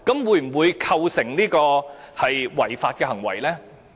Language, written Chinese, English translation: Cantonese, 會否構成違法的行為呢？, Will it constitute an illegal act?